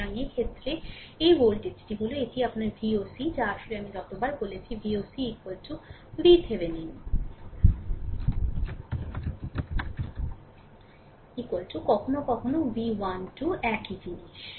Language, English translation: Bengali, So, in this case this voltage this is your V oc actually every time I am telling, V o c is equal to V Thevenin is equal to sometimes V 1 2 same thing right